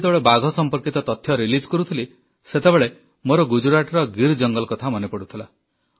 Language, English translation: Odia, At the time I was releasing the data on tigers, I also remembered the Asiatic lion of the Gir in Gujarat